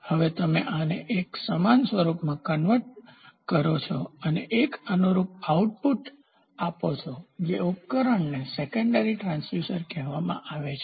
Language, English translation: Gujarati, Now you convert this into an analogous form and give an analogous output that device is called as secondary transducer